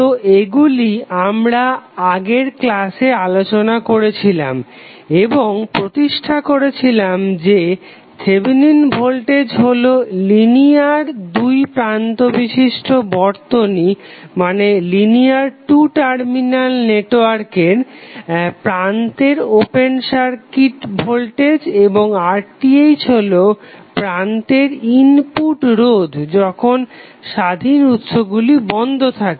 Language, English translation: Bengali, So, this is what we discussed in the last class and then we stabilized that Thevenin voltage is nothing but open circuit voltage across the linear two terminal circuit and R Th is nothing but the input resistance at the terminal when independent sources are turned off